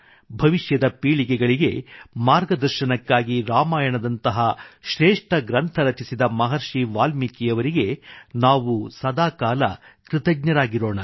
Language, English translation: Kannada, We will always be grateful to Maharishi Valmiki for composing an epic like Ramayana to guide the future generations